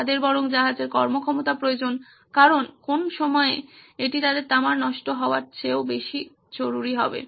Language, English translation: Bengali, They rather have the ship’s performance because in what times that will more critical than their maul of copper